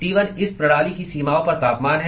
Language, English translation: Hindi, T1 is the temperature at the boundaries of this system